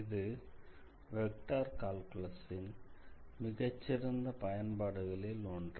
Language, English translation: Tamil, So, this is one of the interesting applications of vector calculus basically in mechanics